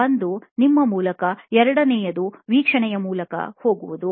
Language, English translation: Kannada, One was to go through yourself, the second was through observation